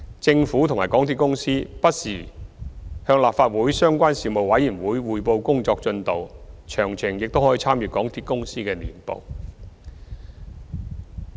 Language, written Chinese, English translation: Cantonese, 政府及港鐵公司不時向立法會相關事務委員會匯報工作進度，詳情亦可參閱港鐵公司的年報。, The Government and MTRCL report to the relevant Legislative Council Panel on the work progress from time to time . Details are available in the Annual Report of MTRCL